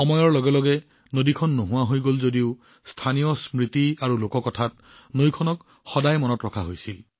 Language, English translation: Assamese, As time went by, she disappeared, but was always remembered in local memories and folklore